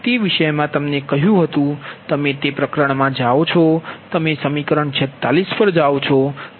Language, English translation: Gujarati, so in that topic you go to are in that chapter you go to equation forty six